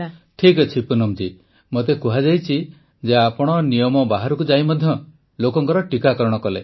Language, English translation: Odia, I've been told Poonam ji, that you went out of the way to get people vaccinated